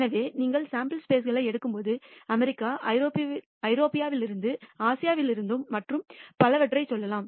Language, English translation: Tamil, So, when you take samples you should take examples from let us say America, from Europe from Asia and so on, so forth